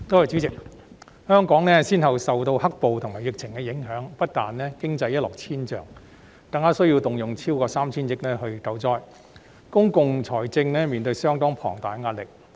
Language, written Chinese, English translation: Cantonese, 主席，香港先後受"黑暴"及疫情影響，不但經濟一落千丈，更需要動用超過 3,000 億元救災，令公共財政面對相當龐大的壓力。, President after the successive blows from black - clad violence and the pandemic Hong Kong suffered a drastic economic decline and has to spend over 300 billion for disaster relief . This has put considerable pressure on public finance